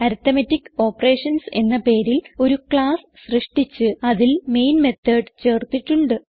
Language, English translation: Malayalam, We have created a class by name Arithmetic Operations and added the main method